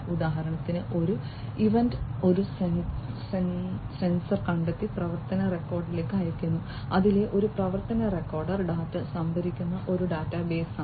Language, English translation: Malayalam, For example, an event is detected by a sensor and sent to the operational recorder and an operational recorder in it is a database, which stores the data